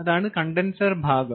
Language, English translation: Malayalam, that is the condenser section